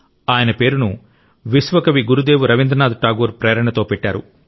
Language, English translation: Telugu, He has been so named, inspired by Vishwa Kavi Gurudev Rabindranath Tagore